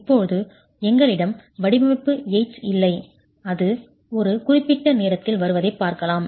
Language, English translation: Tamil, Now, we don't have design aids here and that's something we could look at coming at some point of time